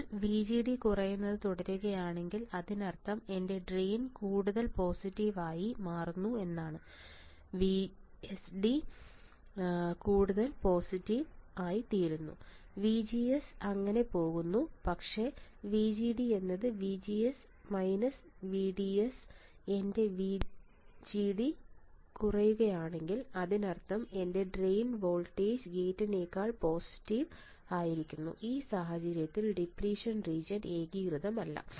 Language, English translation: Malayalam, Now if VGD keeps on decreasing; that means, my drain is drain is becoming more positive, VDS is becoming more positive and VGD is going down so; that means, drain is because VGD is nothing, but VGD is VG minus VD right VGD is nothing, but VG minus VD